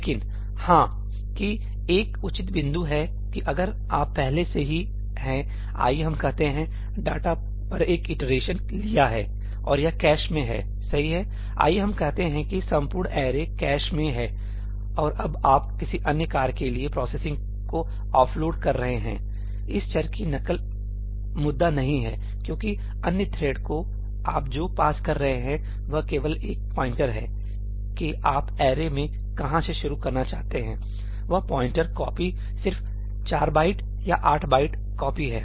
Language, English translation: Hindi, But yeah, that is a fair point that if you have already, let us say, taken an iteration over the data and it is in the cache , let us say the entire array is in the cache, and now you are off loading the processing to another task, the copying of this variable is not the issue because what you will pass to the other thread is just a pointer to where you wanted to start working on in the array, that pointer copy is just a 4 byte or 8 byte copy